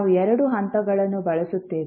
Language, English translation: Kannada, We use two steps